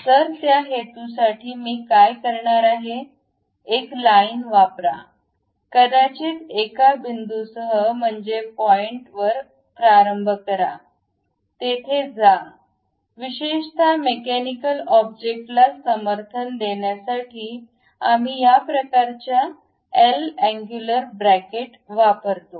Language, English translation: Marathi, So, for that purpose, what I am going to do is, use a line, maybe begin with one point, go there; typically to support mechanical object, we use this kind of L angular brackets